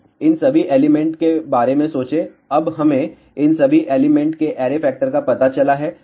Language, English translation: Hindi, Now, think about all these elements, now we have found out the array factor of all of these elements